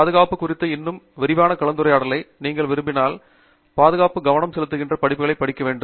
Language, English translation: Tamil, If you want a much more elaborate discussion on safety, you really have to attend courses which are focused on safety